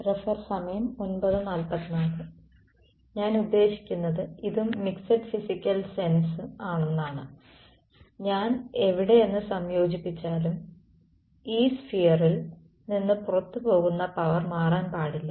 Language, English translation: Malayalam, No matter where what I mean this is also mixed physical sense no matter where I integrate from, the power leaving this sphere should not change right